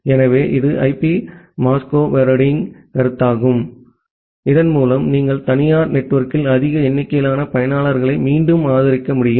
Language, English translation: Tamil, So, that is the concept of IP masquerading to which you can support again large number of users inside the private network